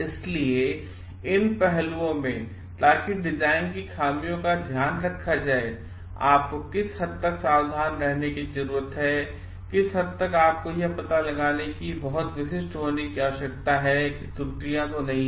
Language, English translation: Hindi, So, in these aspects so how to take care of the design flaws, to what extent you need to be careful, to what extent you need to be very specific to find out like errors are not there